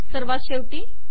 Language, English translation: Marathi, The last one